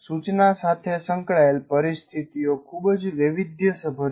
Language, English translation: Gujarati, The first thing is situations associated with instruction are very varied